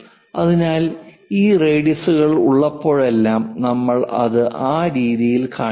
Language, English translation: Malayalam, So, whenever this radiuses are there, we have to show it in that way